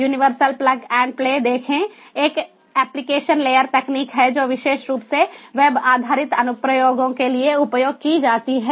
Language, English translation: Hindi, see, universal plug and play is an application layer technology, particularly for web based applications it is used